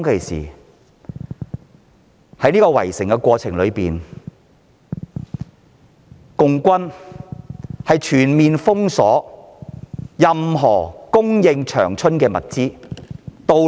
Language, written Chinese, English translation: Cantonese, 在圍城的過程中，共軍全面封鎖長春的供應物資和道路。, During the siege the CPC Army had completely cut off all supplies resources and roads to Changchun